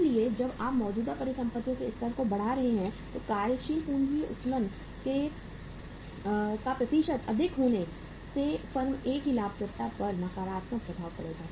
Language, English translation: Hindi, So when you are increasing the level of current assets, percentage of working capital leverage being higher the profitability of the firm A will be negatively impacted